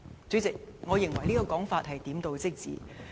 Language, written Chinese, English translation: Cantonese, "主席，我認為這說法點到即止。, President I think the above remarks are very superficial